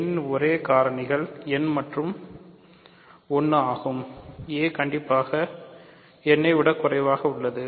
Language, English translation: Tamil, The only factors of n are n and 1, a is strictly less than n